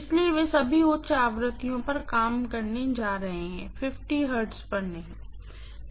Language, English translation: Hindi, So, all of them are going to work at higher frequencies not at 50 hertz, right